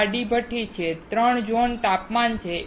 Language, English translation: Gujarati, In this horizontal furnace, there are 3 zone temperature